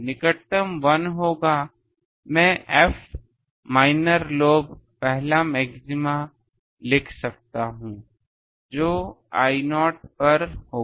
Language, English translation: Hindi, Nearest 1 will be I can write F minor lobe first maxima that will occur at I not